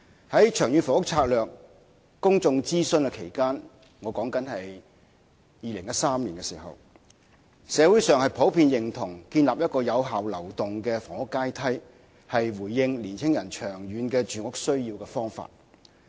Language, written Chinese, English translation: Cantonese, 在《長遠房屋策略》公眾諮詢期間——即2013年——社會上普遍認同建立一個有效流動的房屋階梯，是回應青年人長遠住屋需要的方法。, During the public consultation on the Long Term Housing Strategy LTHS in 2013 members of the public generally agreed that building an effective upward - moving housing ladder would address young peoples long - term housing needs